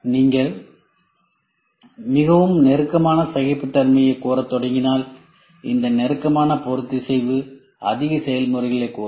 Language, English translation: Tamil, If you start demanding a very tight tolerance then these tighter tolerance will demand more processes